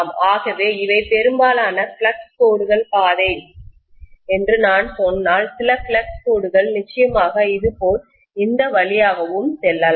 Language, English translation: Tamil, So if I say that these are majority of the flux lines path, some of the flux lines can definitely go through this, like this